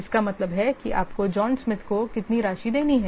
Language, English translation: Hindi, So that means this much what amount you have to pay to John Smith